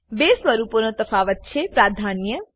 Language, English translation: Gujarati, Difference in the two forms is precedence